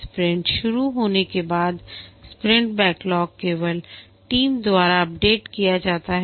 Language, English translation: Hindi, Once the sprint starts, the sprint backlog is updated only by the team